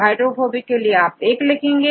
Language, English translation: Hindi, For the hydrophobic one, so, you put 1